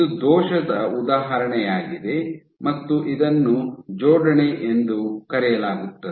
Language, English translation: Kannada, So, this is an example of a defect and this is called as pairing